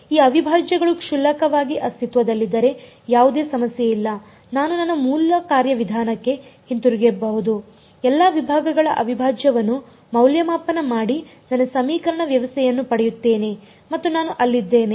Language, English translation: Kannada, If these integrals exist trivially then there is no problem I can go back to my original procedure evaluate the integral over all segments get my system of equations and I am there